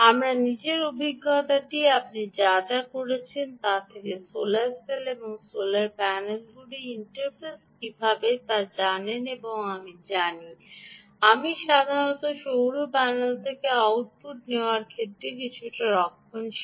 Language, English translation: Bengali, my own experience is, from whatever little bit i have been, you know, looking at how to interface solar cells and solar panels, i normally i am a little more conservative in taking, ah, the output from a solar panel